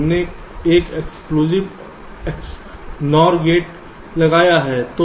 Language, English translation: Hindi, we have put an exclusive node gates